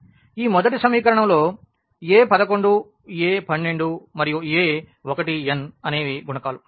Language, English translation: Telugu, So, this is first equation where these are a 1 1 a 1 2 and a 1 n a 1 n these are the coefficients